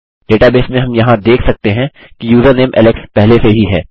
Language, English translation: Hindi, In the database we can see here that username alex already exists